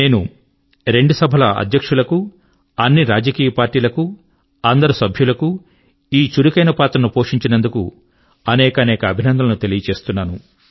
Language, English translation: Telugu, I wish to congratulate all the Presiding officers, all political parties and all members of parliament for their active role in this regard